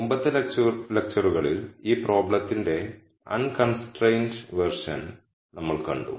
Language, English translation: Malayalam, However, in the previous lectures we saw the unconstrained version of this problem